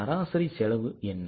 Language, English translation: Tamil, And what is an average cost